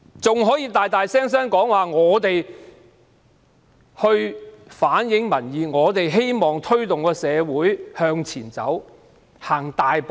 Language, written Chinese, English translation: Cantonese, 政府還高聲說他們反映民意，希望推動社會向前大踏步。, The Government has even said loudly that they reflect public opinions and hope to enable the community to make big strides forward